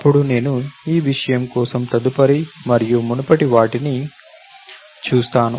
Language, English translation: Telugu, Then, I look at next and previous for that matter